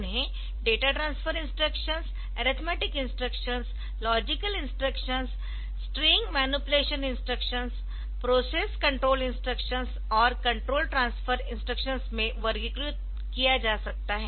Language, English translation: Hindi, They can be grouped into data transfer instruction, arithmetic instruction, logical instructions, string manipulation instructions, process control instructions and control transfer instructions